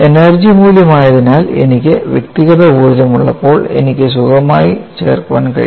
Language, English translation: Malayalam, Being an energy quantity, when I have individual energies, I could comfortably add